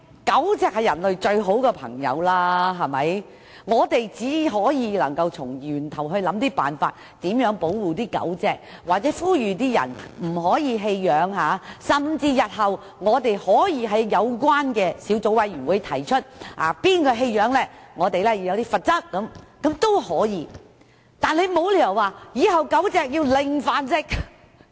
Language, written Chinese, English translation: Cantonese, 狗隻是人類最好的朋友，所以我們只能從源頭想辦法保護狗隻，或呼籲盡量不要棄養，甚至日後在有關的小組委員會上建議訂立棄養的罰則，但卻沒理由要求狗隻"零繁殖"。, Since dogs are mans best friend we must find ways to protect them at root we must appeal to people not to abandon their pets or we may even put forward proposals at the future Subcommittee meetings to introduce penalties for animal abandonment . There is however downright no reason for the pursuit of zero breeding of dogs